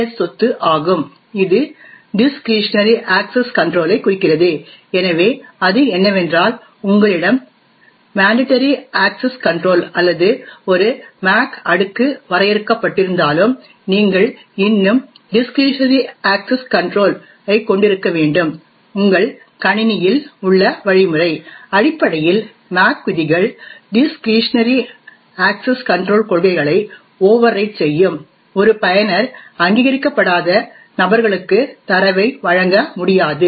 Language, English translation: Tamil, The third property which the Bell LaPadula model defines is the DS property which stands for Discretionary Access control, so what it say is that even though you have a mandatory access control or a MAC layer defined, nevertheless you should still have a discretionary access control mechanism in your system, essentially the MAC rules overwrite the discretionary access control policies, a user cannot give away data to unauthorised persons